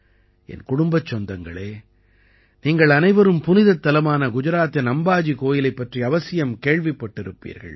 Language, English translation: Tamil, My family members, all of you must have certainly heard of the pilgrimage site in Gujarat, Amba Ji Mandir